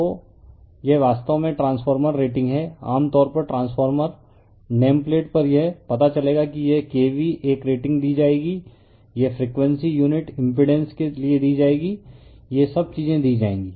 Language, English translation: Hindi, So, this is actually transformer rating generally on the transformer nameplate you will find it is K V a rating will be given right, this frequency will be given for unit impedance will be given all this things will be given